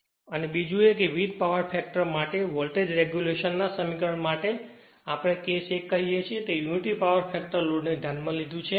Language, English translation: Gujarati, Now, then another one is now, for voltage regulation expression for different power factor say case 1 we considered unity power factor load